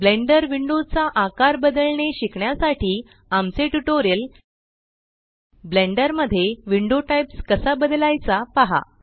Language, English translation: Marathi, To learn how to resize the Blender windows see our tutorial How to Change Window Types in Blender Left click View